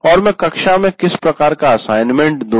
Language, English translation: Hindi, And what kind of assignment do you give right in the classroom